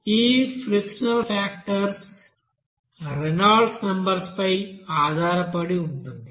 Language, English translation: Telugu, Now this friction factor is basically a function of Reynolds number